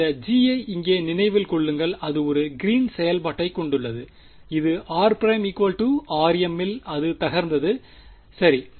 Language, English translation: Tamil, Remember that g over here has a its a Green's function, it blows up at r prime equal to r m right